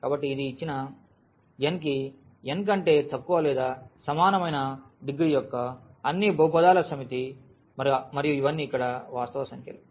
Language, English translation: Telugu, So, this is a set of all polynomials of degree less than or equal to n for given n and all these a’s here are just the real numbers